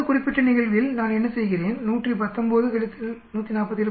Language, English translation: Tamil, In this particular case, what do I do 119 minus 147